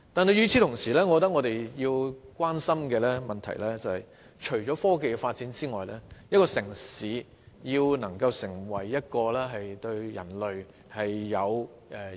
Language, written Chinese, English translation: Cantonese, 與此同時，我認為我們要關心的問題，更是一個城市如何能對人類及世界有所貢獻。, Meanwhile in my view the issue that warrants our attention is more about how a city can make contribution to humanity and the world